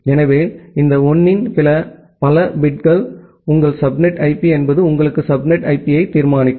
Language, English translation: Tamil, So, this all 1’s denote that this many number of bits are your subnet IP belongs to that determines your subnet IP